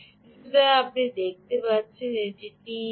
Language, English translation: Bengali, ok, so you can see this is a teg